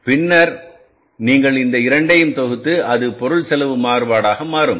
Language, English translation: Tamil, So, this will also become the material cost variance